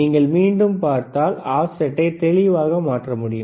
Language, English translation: Tamil, So, if you see again, the offset, you can you can clearly change the offset